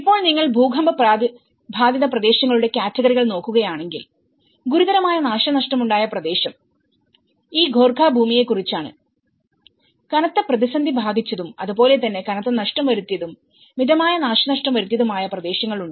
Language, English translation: Malayalam, Now, if you look at the categories of earthquake affected areas, the severely hit region is about this Gorkha land and you have the crisis hit and as well as a hit with heavy losses and the moderately hit and very slightly affected you know